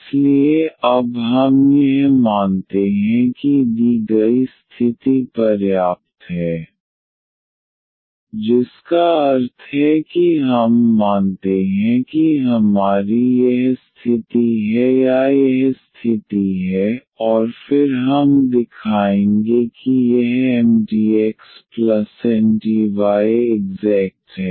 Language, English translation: Hindi, So, here we take now that the given condition is sufficient meaning that we assume that we have this condition or this condition holds, and then we will show that this Mdx plus Ndy is exact